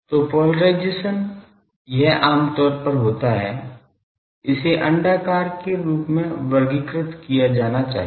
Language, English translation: Hindi, So, polarisation it basically most generally; it should be classified as elliptical